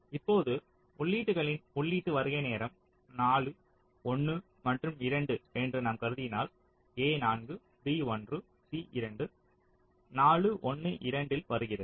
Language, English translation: Tamil, now, if we assume that the input arrival time of the inputs are four, one and two, a is coming at four, b at one, c at two, four, one, two